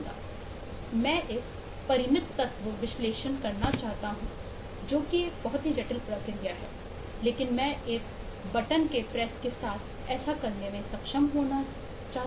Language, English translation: Hindi, I want to do a finite element analysis, which is a very complex process, but I should be able to do that with the press of a button